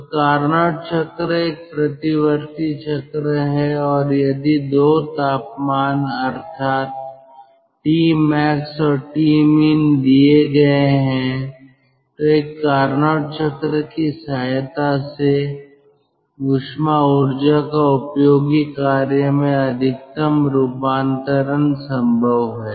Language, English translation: Hindi, so carnot cycle is a reversible cycle and if two temperatures that means t max and t min are given, then the maximum amount of conversion from thermal energy to useful work is possible with the help of a carnot cycle